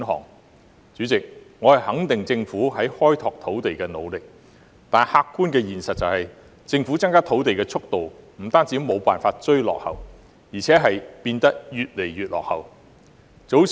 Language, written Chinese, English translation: Cantonese, 代理主席，我肯定政府開拓土地的努力，但客觀的現實是，政府增加土地的速度不單無法"追落後"，更是變得越來越落後。, Deputy President I affirm the Governments efforts to open up more land . And yet the objective reality is that the speed at which the Government provides additional land has not only failed to catch up but is lagging further behind